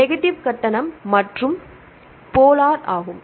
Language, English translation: Tamil, Negative charge as well as the polar right